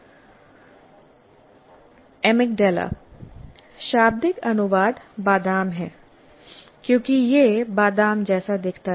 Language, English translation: Hindi, Literal translation, amygdala is because the amygdala looks like an almond